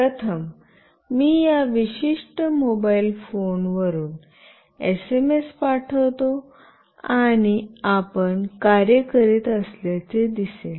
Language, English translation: Marathi, First I will send SMS from this particular mobile phone, and you see that it will work